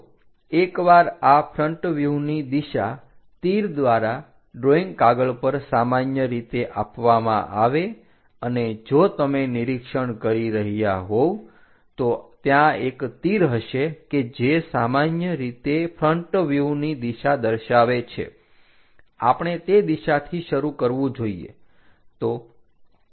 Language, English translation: Gujarati, So, once this is the front view direction is given by arrows usually on drawing sheets if you are observing, there will be a arrow which usually indicates that the front view direction supposed to begin in that direction